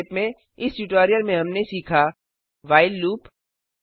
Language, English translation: Hindi, Let us summarize In this tutorial we learned, while loop example